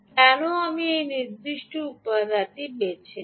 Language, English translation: Bengali, ok, why did i choose this particular component